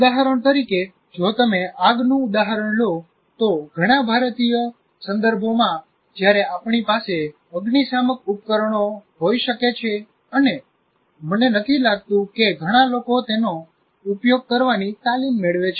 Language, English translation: Gujarati, For example, if you take the fire, in many of the Indian contexts, while we may have fire extinguishers and so on, and I don't think many of the people do get trained with respect to that